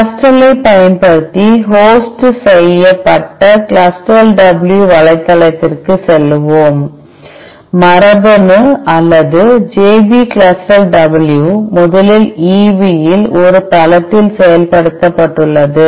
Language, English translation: Tamil, Let us go to CLUSTAL W website, which is hosted in genome or JP CLUSTAL W was originally implemented in EB a site